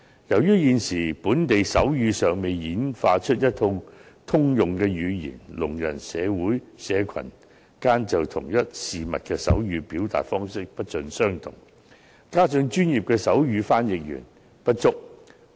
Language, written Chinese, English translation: Cantonese, 由於現時本地尚未演化出一套通用的手語，聾人社群間就同一事物的手語表達方式不盡相同；此外，專業的手語傳譯員亦不足夠。, Given that there is yet to be a set of universal sign language developed in Hong Kong different deaf communities still sign differently to express the same thing . Moreover professional sign language interpreters are inadequate